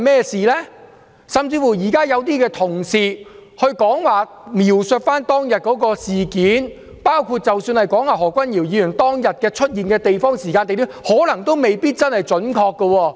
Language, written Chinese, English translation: Cantonese, 甚至現在有些同事描述當天的事件，包括何君堯議員當天出現的時間及地點，可能都未必準確。, Even the current descriptions by some Honourable colleagues of the incident of that day including when and where Dr HO appeared that day may not be accurate